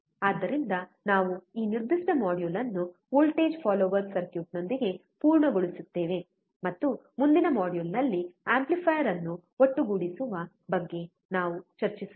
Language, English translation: Kannada, So, we will just complete this particular module with the voltage follower circuit, and in the next module, we will discuss about summing amplifier